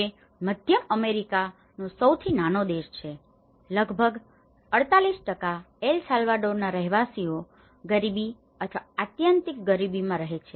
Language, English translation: Gujarati, Which is the smallest country in the Central America so, it is about the 48% of inhabitants of El Salvador live in the poverty or in extreme poverty